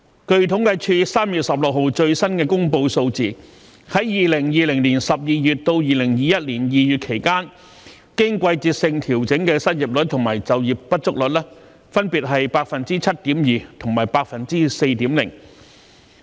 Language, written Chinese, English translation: Cantonese, 據統計處3月16日最新公布的數字，在2020年12月至2021年2月期間，經季節性調整的失業率和就業不足率分別是 7.2% 和 4.0%。, According to the latest statistics released by the Census and Statistics Department on 16 March 2021 for the period between December 2020 and February 2021 the seasonally adjusted unemployment and underemployment rates were 7.2 % and 4.0 % respectively